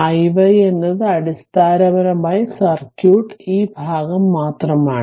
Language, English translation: Malayalam, So, i y 0, so this is 0 basically circuit remains only this part